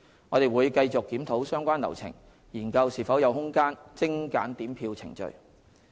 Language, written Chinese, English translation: Cantonese, 我們會繼續檢討相關流程，研究是否有空間精簡點票程序。, We will continue to review the relevant procedures and examine whether there is any room for streamlining the counting procedure